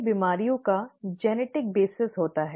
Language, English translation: Hindi, Many diseases have a genetic basis